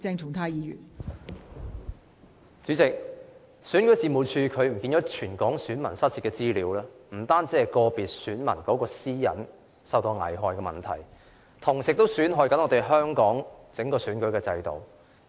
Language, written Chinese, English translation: Cantonese, 代理主席，選舉事務處遺失全港選民的資料，不單是個別選民私隱受到危害的問題，同時亦損害香港整個選舉制度。, Deputy President that the loss of the personal data of all registered electors in Hong Kong by the Registration and Electoral Office is not purely about endangering individual electors privacy being prejudiced